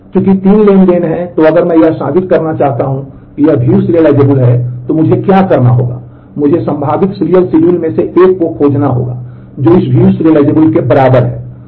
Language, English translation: Hindi, Since there are 3 transactions, then if I want to prove if it is view serializable, then what I will have to do I will have to find a one of the possible serial schedules which is view equivalent to this